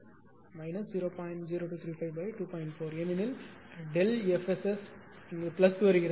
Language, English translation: Tamil, 4 because delta F S S is coming plus